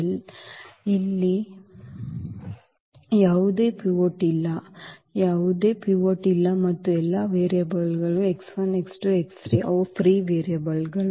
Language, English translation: Kannada, That there is no there is no pivot here; there is no pivot here and all the variables x 1 x 2 x 3 they are the free variables